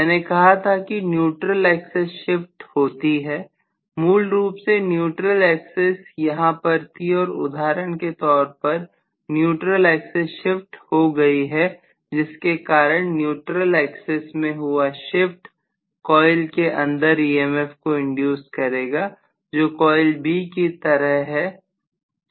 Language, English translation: Hindi, I told you that the neutral axis gets shifted, right, originally I was having the neutral axis here and here for example, the neutral axis gets shifted because of the neutral axis getting shifted I am going to have an induced EMF that is taking place in the coil, which is in the cusp, which is like B, coil B which is in the cusp